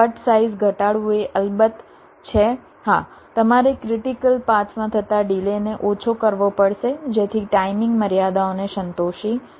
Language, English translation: Gujarati, reducing cut size is, of course, yes, you have to minimize the delay in the critical paths, thereby satisfying the timing constraints